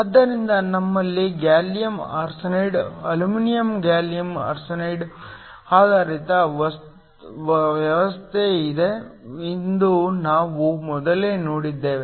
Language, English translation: Kannada, So, We already saw earlier that we had a gallium arsenide aluminum gallium arsenide based system